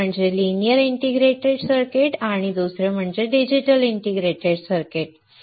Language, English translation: Marathi, One is linear indicator circuits and Second is digital integrated circuits